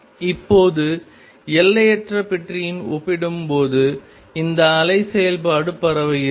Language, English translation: Tamil, Now, this wave function compared to the infinite box is spread out